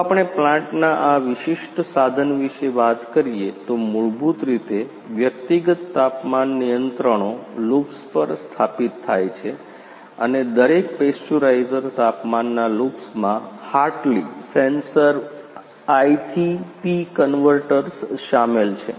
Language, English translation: Gujarati, If we talking about this particular plants instrumentations, basically the individual temperature controls loops are installed on each and every pasteurisers the temperature loops includes the Hartley sensors I to P convertors